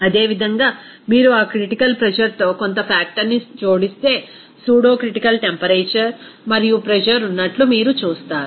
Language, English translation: Telugu, Similarly, if you add some factor with that critical pressure, you will see that pseudocritical temperature and pressure will be there